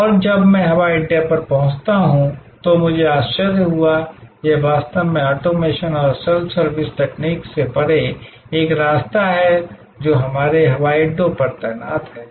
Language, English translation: Hindi, And when I reach the airport, I found to be surprise, this is actually goes a way beyond the kind of automation and self service technology that are deployed at our airports